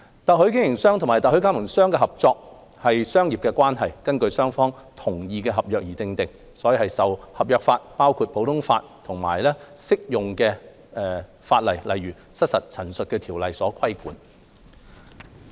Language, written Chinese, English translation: Cantonese, 特許經營商與特許加盟商的合作是商業關係，根據雙方同意的合約而訂定，受合約法，包括普通法及適用法例，例如《失實陳述條例》所規管。, The cooperation between franchisors and franchisees is a commercial relationship based on the contract agreed between both parties which is governed by the law of contract including the common law and applicable legislation for example the Misrepresentation Ordinance